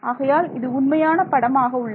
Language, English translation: Tamil, So, this is; so this is the true picture